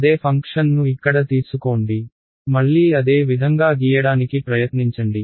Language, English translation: Telugu, Take the same function over here; try to draw it again in the same way